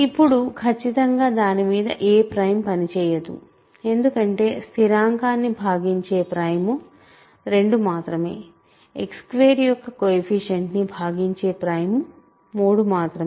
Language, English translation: Telugu, So, now, certainly on the face of it no prime works, right, because only prime that divides constant is 2, only prime that divides the coefficient of X squared is 3